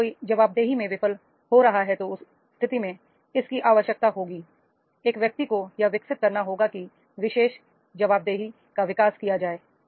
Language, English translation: Hindi, That is if one is failing into the accountability, then in that case it requires that is the person has to develop that particular accountability is to be developed